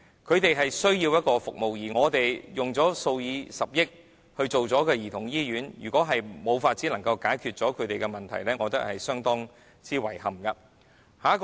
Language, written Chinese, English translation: Cantonese, 他們需要這些服務，而我們花了數以十億元興建兒童醫院，如果仍然無法解決他們的問題，我認為這是相當遺憾的。, They need this kind of service and we have spent billions of dollars on a childrens hospital . If their problem remains not solved I think it would be most regrettable